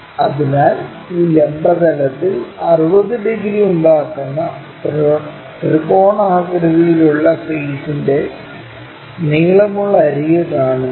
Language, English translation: Malayalam, So, when we are seeing the longer edge of the triangular face that makes 60 degrees with this vertical plane